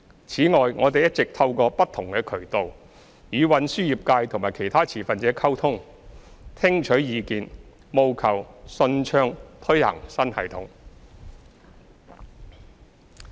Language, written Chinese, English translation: Cantonese, 此外，我們一直透過不同渠道，與運輸業界及其他持份者溝通，聽取意見，務求順暢推行新系統。, In addition we have been communicating with the transport trade and other stakeholders and listening to their views through various channels so as to ensure the smooth implementation of the new system